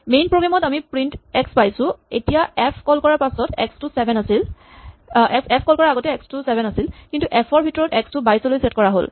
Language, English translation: Assamese, So the bottom of the main program we have print x, now x was 7 before f was called but x got set to 22 inside f